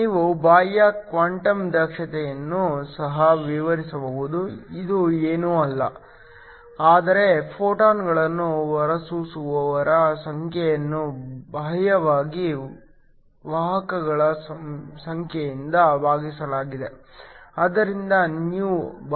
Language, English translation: Kannada, You can also define an external quantum efficiency this is nothing, but the number of photons emitter externally divided by the number of carriers